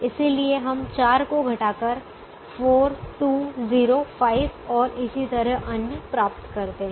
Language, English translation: Hindi, so we subtract three to get two, one zero and two